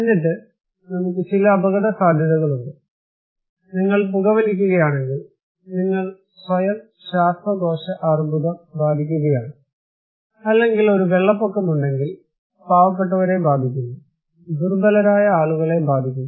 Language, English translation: Malayalam, And then we have some risk, like if you smoke, you are endangering yourself with a lung cancer, or if there is a flood, poor people is affected, vulnerable people would be affected